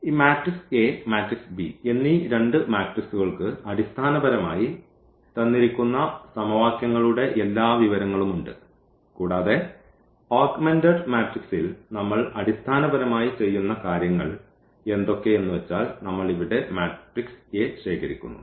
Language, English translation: Malayalam, So, these two the matrix A and the matrix b basically have all the information of the given system of equations and what we do in the augmented matrix we basically collect this a here